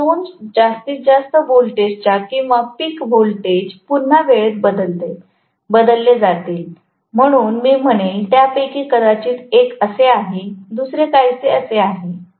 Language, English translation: Marathi, So, the two maximum voltages or peak voltages are going to be time shifted again, so I might say, one of them probably is like this, the other one is somewhat like this